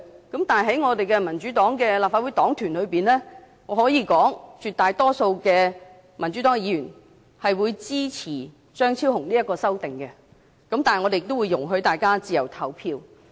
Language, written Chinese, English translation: Cantonese, 可是，在民主黨立法會黨團中，我可以說，絕大多數民主黨議員會支持張超雄議員的修正案，但我們也會容許大家自由投票。, However in the caucus of the Democratic Party I can say the absolute majority of Members will support Dr Fernando CHEUNGs amendment but we are allowed to vote freely